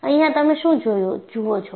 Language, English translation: Gujarati, What do you see here